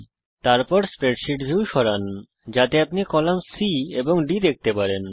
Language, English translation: Bengali, Then move the spreadsheet view so you can see column C and D